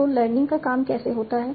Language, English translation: Hindi, So how does learning work